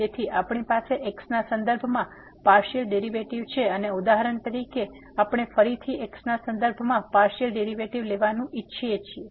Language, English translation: Gujarati, So, we have the partial derivative with respect to x and for example, we want to take again the partial derivative with respect to